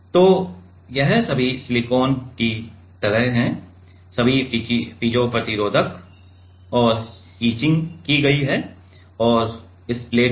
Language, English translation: Hindi, So, this is like the all the silicon all the piezo resistors and etching has been done and on this plate